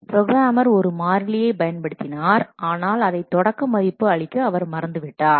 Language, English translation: Tamil, The programmer has used a variable, but he has forgotten to initialize it